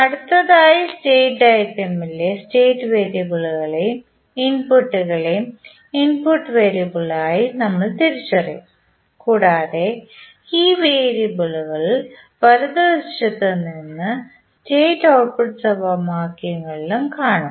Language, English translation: Malayalam, Now, next we will identify the state variables and the inputs as input variable on the state diagram and these variables are found on the right side on the state as well as output equations